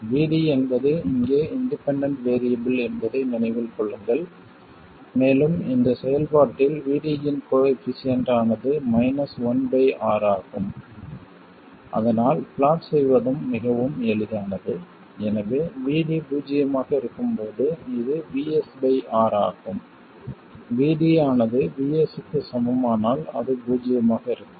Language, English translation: Tamil, And it's obvious that it also has a negative slope and the slope is minus 1 by r remember vd is the independent variable here and the coefficient of vd in this function is minus 1 by r okay so very easy to plot also so when vd is 0 it 0, it is Vs by R, when VD equals VS, it will be 0, and it will be a line, straight line connecting these two points, and the slope of this is obviously minus 1 by r